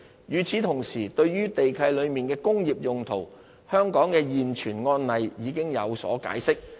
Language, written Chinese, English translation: Cantonese, 與此同時，對於地契內的"工業用途"，香港的現存案例已有解釋。, Meanwhile for the term industrial purposes used in Government leases there is Hong Kong case law on what it means